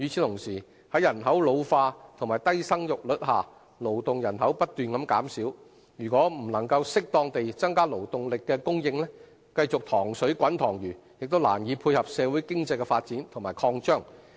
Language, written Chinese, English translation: Cantonese, 同時，在人口老化和低生育率下，勞動人口不斷減少，如果不能適當地增加勞動力的供應，繼續"塘水滾塘魚"，亦難以配合社會經濟的發展和擴張。, In the meantime due to the ageing population and low birth rate our working population will only keep decreasing and it will be difficult for us to keep in pace with the socio - economic development and expansion if we just keep relying solely on the local workforce without increasing the supply of labour appropriately